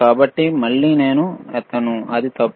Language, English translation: Telugu, So, again I have lifted, which it is wrong,